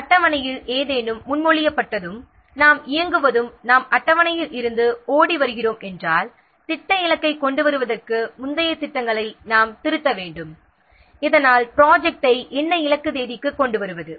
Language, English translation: Tamil, If in schedule something is what proposed and we are running out away from the schedule, then we have to revise the earlier plans so as to bring the project target so as to what so as to bring the project to the target date